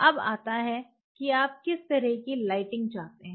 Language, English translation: Hindi, Now comes what kind of lighting your looking forward to